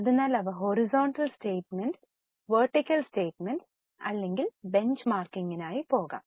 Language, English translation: Malayalam, So, they may either go for horizontal statement, vertical statement or benchmarking